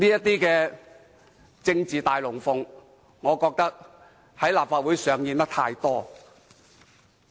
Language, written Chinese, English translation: Cantonese, 這種政治"大龍鳳"，我認為在立法會上演得太多了。, I think too many spectacular shows have been staged in the Legislative Council